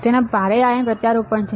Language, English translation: Gujarati, It has heavy ion implants right